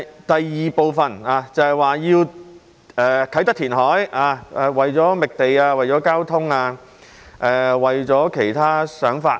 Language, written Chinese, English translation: Cantonese, 第二部分提及要在啟德填海，原因是為了覓地、交通及其他想法。, The second part mentions the need for reclamation in Kai Tak on the grounds of search for land transport and other notions